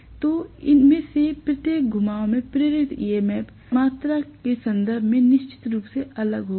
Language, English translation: Hindi, So there will be definitely different in terms of the induced EMF quantity in each of these turns